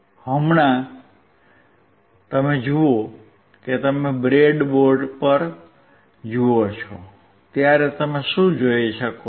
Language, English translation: Gujarati, Right now, if you see, when you see on the breadboard, what you can see